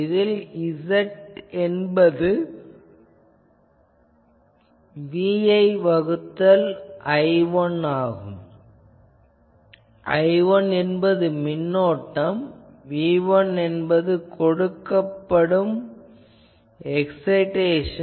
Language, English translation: Tamil, So, you can easily write Z in is equal to V 1 by I 1 where I 1 is current here and V 1 is the excitation given here